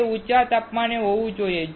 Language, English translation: Gujarati, It should be at high temperature